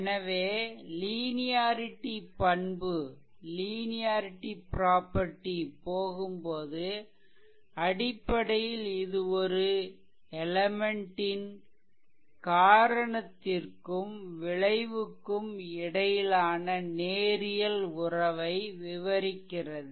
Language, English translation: Tamil, So, whenever, we go for linearity property, so basically it is the property of an element describe a linear relationship between cause and effect